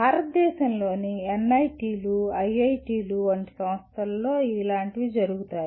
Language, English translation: Telugu, Such a thing happens with institutes like NITs and IITs in India